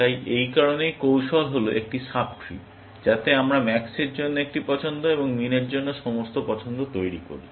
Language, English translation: Bengali, So, that is why, the strategy is the sub tree that we construct by making one choice for max, and all choices for min